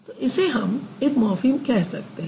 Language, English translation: Hindi, It would be considered as a free morphem